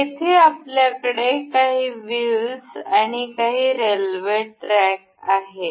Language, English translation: Marathi, Here, we have some wheels and some rail tracks over here